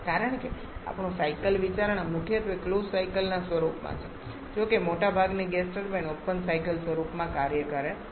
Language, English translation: Gujarati, Because our cycle consideration is primarily in the form of a closed cycle though most of the gas turbines work in an open cycle form